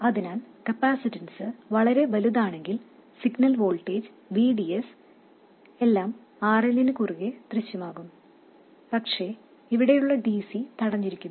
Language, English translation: Malayalam, So that if the capacitance is very large, then all of the signal voltage VDS will appear across RL but the DC here is blocked